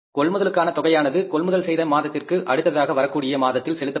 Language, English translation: Tamil, All purchases are paid for in the month following the month of purchases